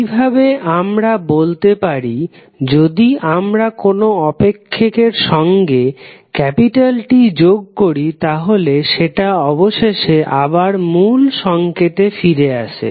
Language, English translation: Bengali, So, in this way we can say if we add capital T in the function, it will eventually become the original signal